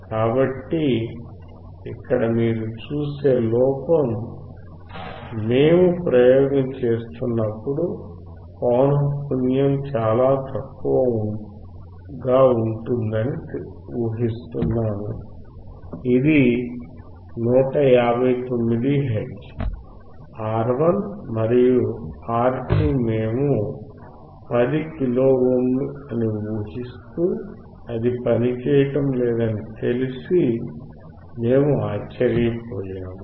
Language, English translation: Telugu, So, the error that you see when we were performing the experiment that we were assuming that the frequency would be much lower, which is 159 hertz assuming that R1 and R2 are 10 kilo ohms, and we were surprised that it was not working